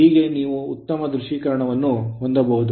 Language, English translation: Kannada, There thus that you can have a better visualisation